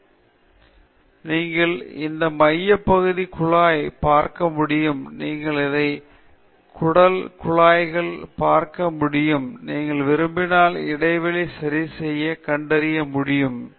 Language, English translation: Tamil, And then, you can see this central tube, you can see all the concentric tubes; if you want, you can use this scale to find out the interplanar spacing okay